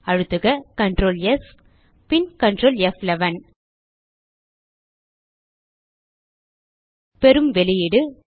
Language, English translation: Tamil, Press Ctrl,s and Ctrl, F11 We get the output as follows